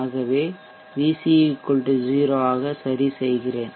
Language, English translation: Tamil, So let me alter VC to 0